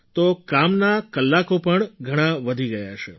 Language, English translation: Gujarati, Therefore the working hours must have increased